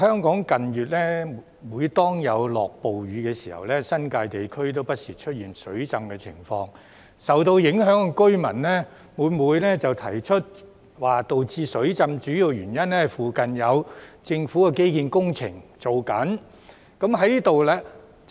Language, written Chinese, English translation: Cantonese, 近月，每當香港出現暴雨，新界地區不時出現水浸的情況，而受影響居民每每表示導致水浸的主要原因，是附近有政府的基建工程正在進行。, In recent months whenever there were severe rainstorms in Hong Kong flooding occurred in the New Territories from time to time and the affected residents often said that the main cause of flooding was the ongoing government infrastructure projects nearby